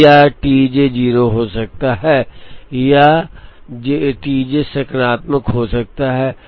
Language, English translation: Hindi, Now this T j can be either 0 or this T j can be positive